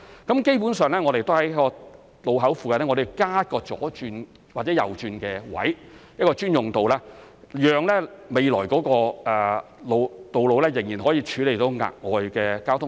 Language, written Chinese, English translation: Cantonese, 基本上，我們會在路口附近加設左轉或右轉的位置、一個專用道，讓未來的道路仍然可以處理額外的交通量。, Basically we will add near the junctions left - turn or right - turn locations and dedicated lanes so that the future roads will be able to accommodate the additional traffic volume